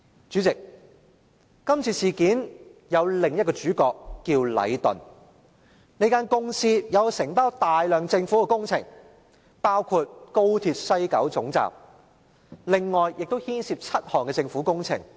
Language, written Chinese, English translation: Cantonese, 主席，這次事件有另一個主角，名為禮頓。這間公司承包大量的政府工程，包括高鐵西九龍總站，以及另外7項政府工程。, President another protagonist in this incident is Leighton which is the contractor of a lot of government projects including the West Kowloon Terminus of the Express Rail Link and seven other government projects